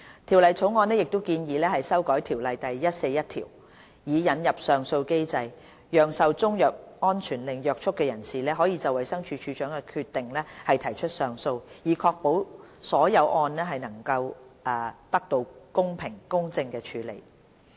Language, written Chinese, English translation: Cantonese, 《條例草案》亦建議修訂《條例》第141條，以引入上訴機制，讓受中藥安全令約束的人士可就衞生署署長的決定提出上訴，以確保所有個案得到公平公正處理。, To ensure the fair and just handling of all cases the Bill proposes to amend section 141 of CMO to introduce an appeal mechanism to allow a person bound by a CMSO to appeal against the decision of the Director